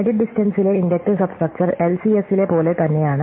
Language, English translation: Malayalam, So, the inductive substructure in edit distance is exactly the same as in LCS